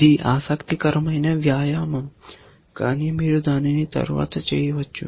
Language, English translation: Telugu, It is an interesting exercise, but you can do that later